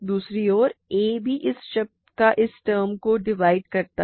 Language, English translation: Hindi, On the other hand a also divides this term this term